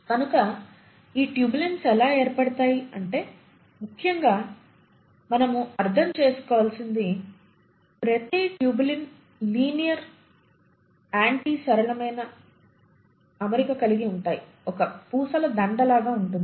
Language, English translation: Telugu, So how do these tubulins arrange, what is important here is to understand that each tubulin arranges in a linear fashion, like a string of beads